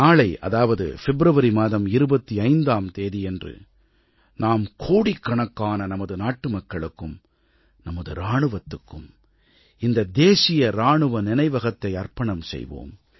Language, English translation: Tamil, Tomorrow, that is on the 25th of February, crores of we Indians will dedicate this National Soldiers' Memorial to our Armed Forces